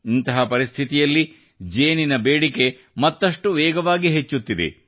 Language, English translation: Kannada, In such a situation, the demand for honey is increasing even more rapidly